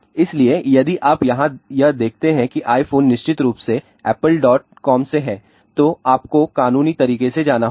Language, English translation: Hindi, So, if you look at this here that iphone of course, is from apple dot com, you have to go through the legal